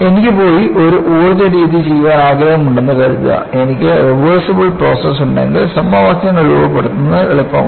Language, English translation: Malayalam, Suppose, I want to go and do an energy method, it is easy for me to formulate the equations if I have a reversible process